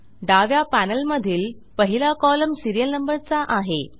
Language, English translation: Marathi, The first column in the left panel is the serial number